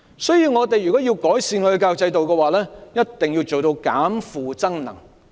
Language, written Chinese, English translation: Cantonese, 所以，如果我們要改善教育制度，一定要做到"減負增能"。, So if we want to improve the education system we must reduce workload and enhance energy